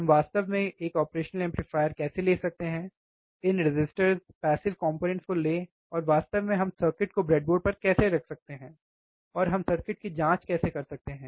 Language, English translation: Hindi, How can we actually take a operational amplifier take this resistors passive components, and how exactly we can we can place the circuit on the breadboard, and how we can check the circuit